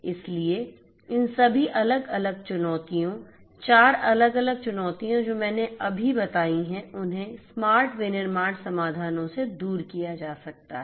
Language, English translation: Hindi, So, all of these different challenges the 5 different, the 4 different challenges that I have just mentioned could be overcome with smart manufacturing solutions